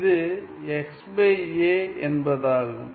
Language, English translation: Tamil, So, what is this